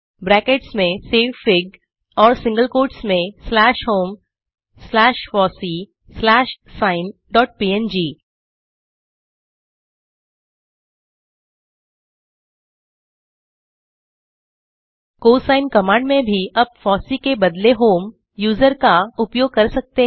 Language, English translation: Hindi, Then savefig within brackets and single quotes slash home slash fossee slash sine dot png In the cosine command also you can use fossee instead of home user